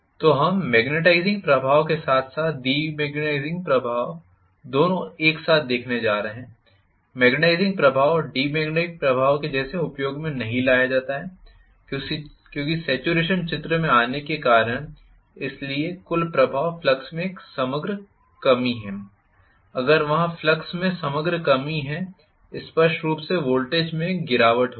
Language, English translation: Hindi, So, we are going to have both magnetizing effect as well as demagnetizing effect, the magnetizing effect is not as pronounced as the demagnetizing effect because of the saturation coming into picture, so the net effect is an overall reduction in the flux, if there is the overall reduction in the flux clearly there will be a drop in the voltage whether I like it or not there will be a drop in the voltage